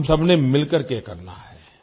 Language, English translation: Hindi, We have to do this together